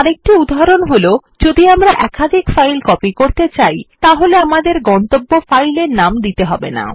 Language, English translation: Bengali, Another instance when we do not need to give the destination file name is when we want to copy multiple files